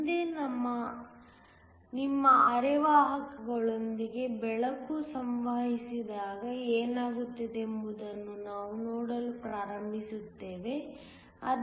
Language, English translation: Kannada, Next, we will start to look at what happens when light interacts with your semiconductors